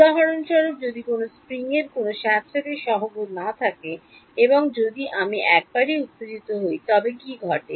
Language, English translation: Bengali, For example, if a spring has no damping coefficient and if I excited once, so what happens